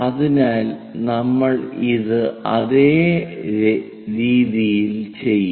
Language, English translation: Malayalam, So, we will do it in this same way